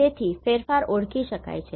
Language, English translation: Gujarati, So, the changes can be identified